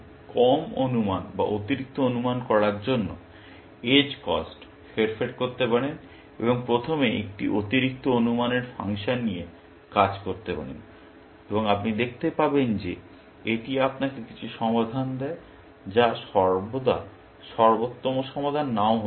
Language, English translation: Bengali, You can basically, manipulate the edge cost to make it of under estimating or over estimating, and first work with a over estimating function, and you will see, that it gives you some solution, which may not necessarily be the optimal solution